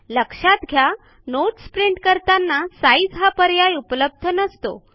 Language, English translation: Marathi, Notice that the Size options are not available when we print Notes